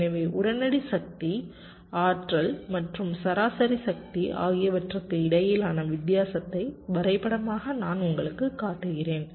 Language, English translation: Tamil, ok, so diagrammatically i am showing you the difference between instantaneous power, the energy and the average power